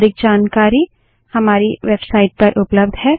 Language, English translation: Hindi, More information on the same is available from our website